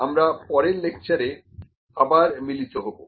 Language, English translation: Bengali, So, let us meet in the next lecture